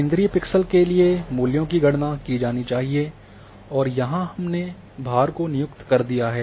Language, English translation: Hindi, That, here for center pixel centre pixel the values have to be calculated and these are the weights which have been assigned